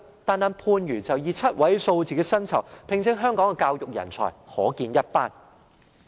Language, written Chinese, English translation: Cantonese, 單單看番禺以7位數字的薪酬，聘請香港的教育人才，即可見一斑。, Just look at Pangyu . The seven - digit salaries it offers to education talents from Hong Kong is a case in point